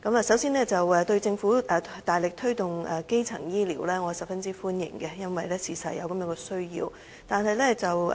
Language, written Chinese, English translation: Cantonese, 首先，對於政府大力推動基層醫療，我是十分歡迎的，因為確實有這需要。, First I greatly welcome the Governments vigorous efforts in promoting primary health care because there is indeed such a need